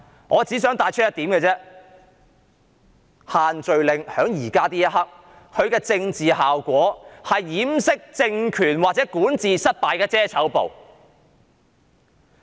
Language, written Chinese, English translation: Cantonese, 我只想帶出一點，便是此時此刻，限聚令的政治效果只是掩飾政權管治失敗的遮醜布。, I only wish to bring up one point the point that at this juncture the social gathering restriction merely serves the political function of a fake leaf whereby the political regime tries to conceal its governance failure